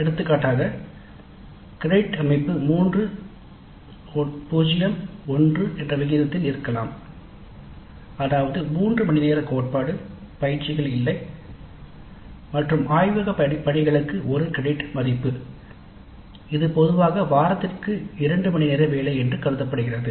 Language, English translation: Tamil, For example the credit structure may be 3 0 1, that means 3 hours of theory, no tutorials and one credit of laboratory work which typically translates to two hours of work per week